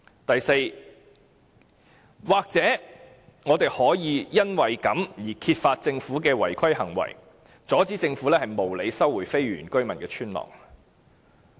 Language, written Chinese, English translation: Cantonese, 第四，也許我們可以揭發政府的違規行為，阻止政府無理收回非原居民村落的土地。, Fourth perhaps we can uncover certain irregularities of the Government and stop it from unreasonably resuming the land of the non - indigenous villages